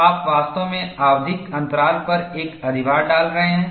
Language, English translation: Hindi, So, you are really putting an overload, at periodic intervals